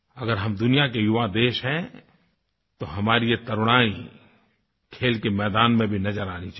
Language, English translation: Hindi, If we are a young nation, our youth should get manifested in the field sports as well